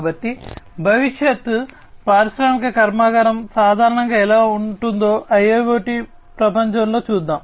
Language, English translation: Telugu, So, let us look at in the IIoT world, how a futuristic industrial plant typically is going to look like